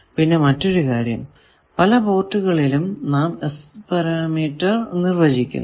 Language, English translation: Malayalam, And another thing is that various ports, now we define parameters